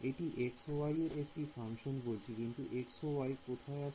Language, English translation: Bengali, It is going to be a function of x y because whereas, where is the x y going to come from